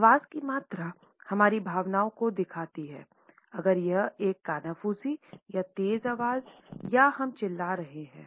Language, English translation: Hindi, The volume of voice shows our feelings if it is a whisper or a loud voice or are we shouting